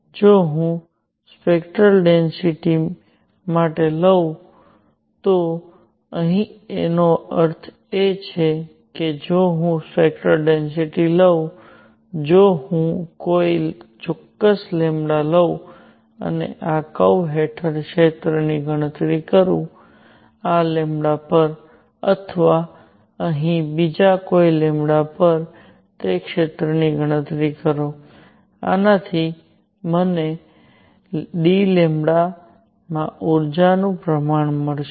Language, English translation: Gujarati, What we mean here is if I take for spectral density; if I take a particular lambda and calculate the area under this curve; at this lambda or calculate area at say another lambda out here; this would give me the energy content in this d lambda